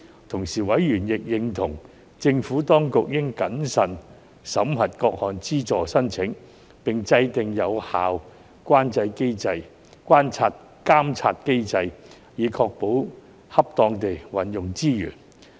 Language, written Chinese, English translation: Cantonese, 同時，委員亦認同，政府當局應謹慎地審核各項資助申請，並制訂有效監察機制，以確保恰當地運用資源。, Meanwhile members also shared the view that the Administration should exercise prudence in vetting the applications for subsidies and put in place an effective monitoring mechanism to ensure an appropriate use of resources